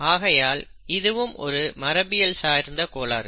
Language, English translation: Tamil, And therefore, it is a genetic disorder